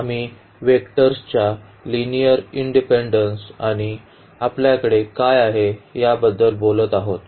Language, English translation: Marathi, Well, so, now going to the next topic here we will be talking about linear independence of vectors and what do we have here